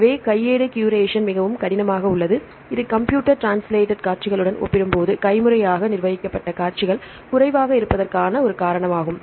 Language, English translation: Tamil, So, manual curation is a very hard this is a reason why the manually curated sequences are less compared with the computer translated sequences